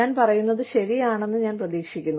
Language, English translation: Malayalam, And, I hope, I am right, when I say this